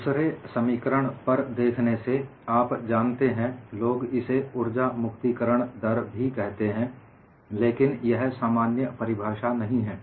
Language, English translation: Hindi, By looking at the second expression, people also called it as strain energy release rate, but that is not a generic definition